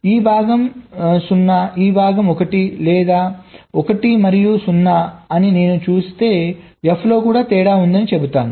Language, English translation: Telugu, or if i see this part is zero, this part is one or one and zero, then i will say that in f also there is a difference